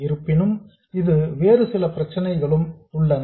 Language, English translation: Tamil, But there are some other problems with this